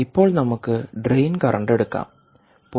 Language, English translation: Malayalam, and now let us take drain currents